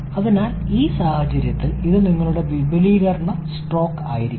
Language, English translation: Malayalam, So, this will be your expansion stroke in that case